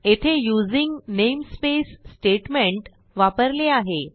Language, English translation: Marathi, We have the using namespace statement also